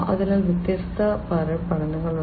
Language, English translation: Malayalam, So, there are different types of learning